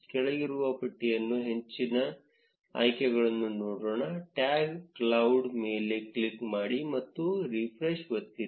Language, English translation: Kannada, Let us look at more options in the drop down menu; click on the tag cloud and press refresh